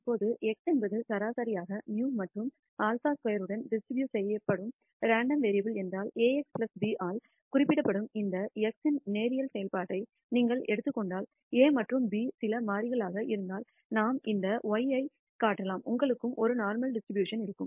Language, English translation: Tamil, Now, we can show that if x is a normally distributed random variable with mean mu and sigma squared, then if you take a linear function of this x denoted by ax plus b, where a and b are some constants, then we can show that y you will also have a normal distribution